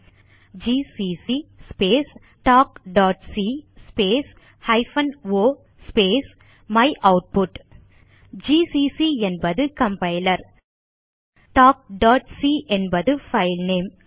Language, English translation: Tamil, Type gcc space talk.c space hyphen o space myoutput gcc is the compiler talk.c is our filename